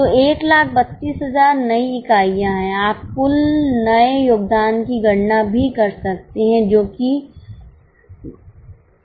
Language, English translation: Hindi, You can also compute the new total contribution which is 9556